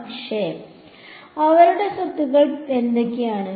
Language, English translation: Malayalam, And what are their properties